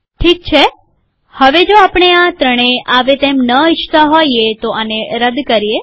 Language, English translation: Gujarati, Alright, now, if we didnt want this three to come we have to delete this